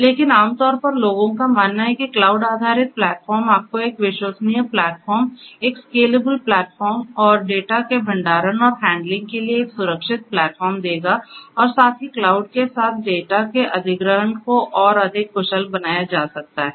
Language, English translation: Hindi, But in general the you know people believe that cloud based platforms will give you, a reliable platform, a scalable platform and a secure platform for storage and handling of data and also the acquisition of the data with cloud can be made much more efficient